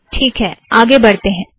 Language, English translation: Hindi, Okay, so lets get on with it